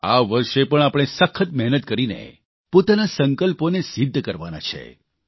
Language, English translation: Gujarati, This year too, we have to work hard to attain our resolves